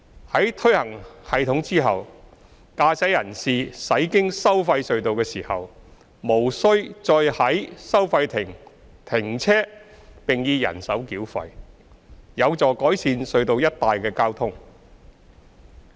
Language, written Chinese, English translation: Cantonese, 在推行系統後，駕駛人士駛經收費隧道時無須再在收費亭停車並以人手繳費，有助改善隧道一帶的交通。, Upon implementation of FFTS motorists are no longer required to stop at a toll booth for manual toll payment when passing through a tolled tunnel thus helping to improve the traffic in the vicinity of the tunnels